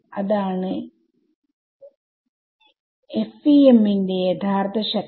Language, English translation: Malayalam, That is the real power of FEM